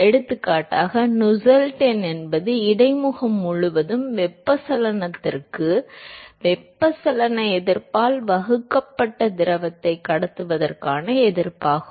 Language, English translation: Tamil, For example, Nusselt number is the resistance to conduction the fluid divided by convection resistance to convection across the interface